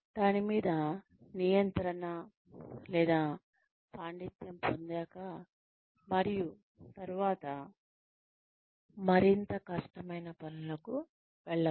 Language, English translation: Telugu, Something that one can gain control or mastery over, and then, move on to more difficult tasks